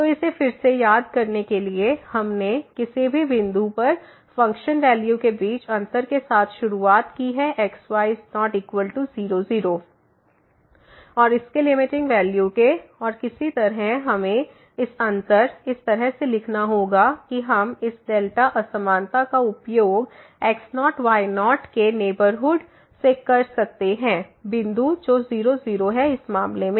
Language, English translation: Hindi, So, again just to recall this so, we have started with the difference between the function value at any point not equal to and its limiting value and somehow we have to write down this difference in terms of the so that we can use this delta inequality from the neighborhood of the x naught y naught point which is in this case